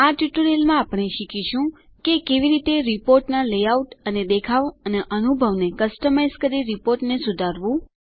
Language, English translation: Gujarati, In this tutorial, we will learn how to Modify a report by customizing the layout and the look and feel of the report